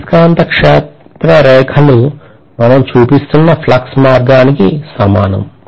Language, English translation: Telugu, Magnetic field lines are the same as the flux path that we are showing